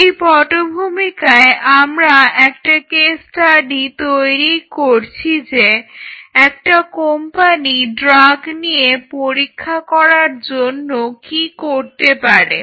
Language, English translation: Bengali, So, with this background we were kind of you know developing a case study that, what a company can do in terms of testing the drugs